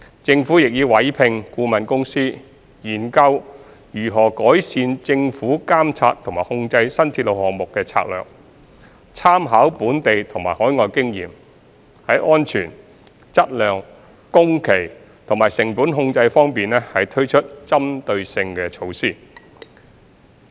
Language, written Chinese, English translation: Cantonese, 政府亦已委託顧問公司研究如何改善政府監察和控制新鐵路項目的策略，參考本地及海外經驗，在安全、質量、工期和成本控制等方面推出針對性措施。, The Government has also commissioned a consultancy to examine enhancements to the Governments monitoring and control strategies for new railway projects . Making reference to local and overseas experience targeted measures in relation to safety quality programme and cost control would be implemented